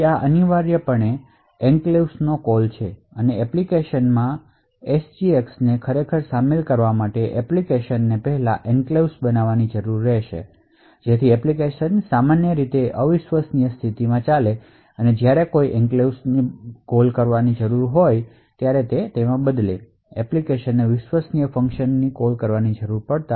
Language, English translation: Gujarati, So this essentially is a call to the enclave, so in order to actually incorporate SGX in an application the application would first need to create an enclave so the application would typically run in a untrusted mode and occasionally when there is enclave needs to be called rather than the application needs to call a trusted function